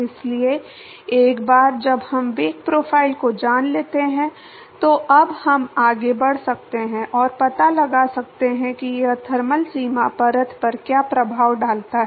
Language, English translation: Hindi, So, once we know the velocity profile, now we can proceed and find out what does it effects on the thermal boundary layer